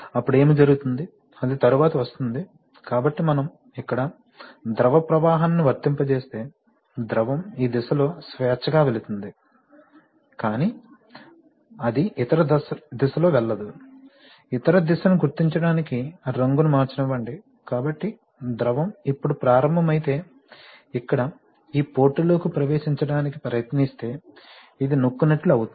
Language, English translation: Telugu, Then what will happen, that will come later, so we can see that if we apply fluid flow here, the fluid will freely pass on in this direction, now what happens, but it cannot pass in the other direction, why it cannot pass in the other direction because if, let me, let me change the color to mark the other direction, so if the, if the fluid now starts, tries to enter this port here then this is going to get pressed